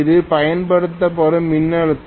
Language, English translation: Tamil, This is the applied voltage, right